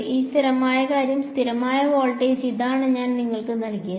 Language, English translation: Malayalam, This constant thing over here, constant voltage that is this is what I have given you